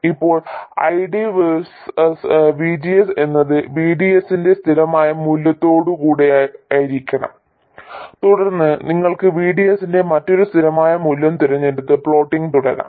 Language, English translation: Malayalam, Now, ID versus VGS will be with some constant value of VDS and then you can choose another constant value of VDS and then keep plotting